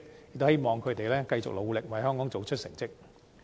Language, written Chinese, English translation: Cantonese, 我希望他們繼續努力，為香港做出好成績。, I hope they will continue with their hard work to produce good results for Hong Kong